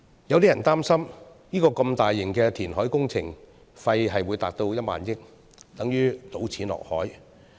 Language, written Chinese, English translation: Cantonese, 有些人擔心，如此大型的填海工程費用高達1萬億元，等同於"倒錢落海"。, Some people worry that the whopping 1 trillion cost of such a large - scale reclamation project would be akin to dumping money into the sea